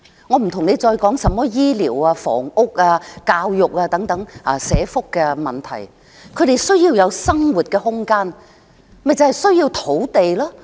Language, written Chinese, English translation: Cantonese, 我暫且不說醫療、房屋、教育等社福問題，他們需要有生活空間，就是需要土地。, Leaving aside social welfare issues such as health care housing and education for the time being they need living space which means a need for land